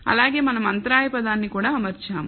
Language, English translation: Telugu, Also we have also fitted an intercept term